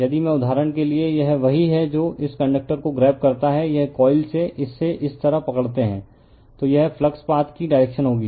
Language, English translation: Hindi, If I for example, this is your what you call if you grab it this conductor, this coil this right if you grab it like this, then this will be the direction of the flux path